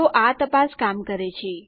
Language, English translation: Gujarati, So that check works